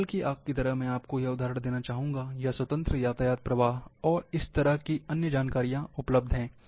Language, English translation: Hindi, Like forest fire, I will give you this example, or freeway traffic flow, and other information are available